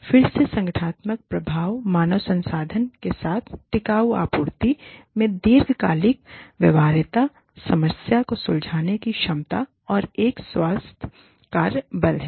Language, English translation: Hindi, Again, the organizational effects are, the durable supply with human resources, long term viability, problem solving ability, and a healthy work force